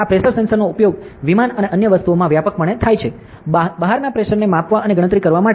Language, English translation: Gujarati, So, this pressure sensors are widely used in aircraft and other things, to measure the pressure outside and do the calculation as well as